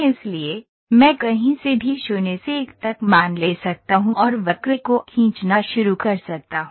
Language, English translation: Hindi, So, I can take a value from 0 to 1 anywhere and I can start drawing the curve